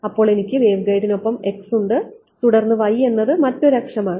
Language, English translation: Malayalam, So, I have x is along the waveguide and then y is the other axis right